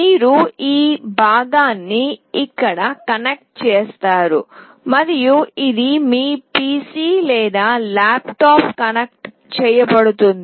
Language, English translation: Telugu, You will be connecting this part here and this will be connected to your PC or laptop